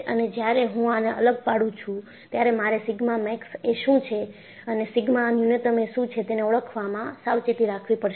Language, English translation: Gujarati, And, when I apply this, I have to be careful in identifying, what sigma max is and what sigma minimum is